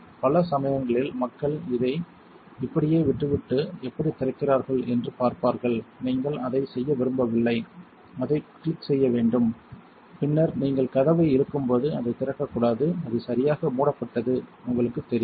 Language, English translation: Tamil, Many times people will just leave it like this and see how it is open you do not want to do that it has to click and then when you pull the door it should not open that is how you know it is properly closed